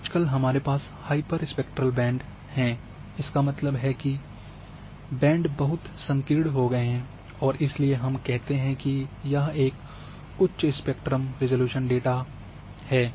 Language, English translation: Hindi, Nowadays we are having hyperspectral bands; that means, bands are become very narrow and therefore we go for we say it is a high spectrum resolution data